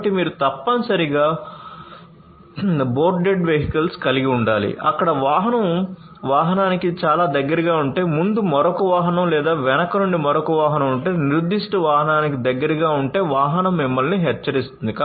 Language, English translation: Telugu, So, you know you have you know you must have you know boarded vehicles where the vehicle will warn you if the vehicle is too close to the vehicle, another vehicle in front or if there is another vehicle coming from the back, which is close to that particular vehicle